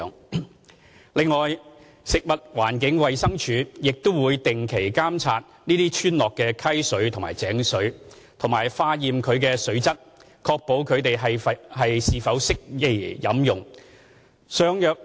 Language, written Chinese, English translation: Cantonese, 此外，食物環境衞生署亦會定期監察這些村落的溪水或井水及化驗其水質，確定是否適宜飲用。, The Food and Environmental Hygiene Department FEHD also regularly monitors and tests the stream or well water quality of these villages to ascertain their suitability for potable consumption